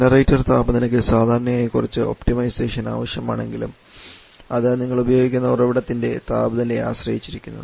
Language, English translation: Malayalam, And generator temperature that generally requires some optimisation but still it depends more on the temperature of the source that you are using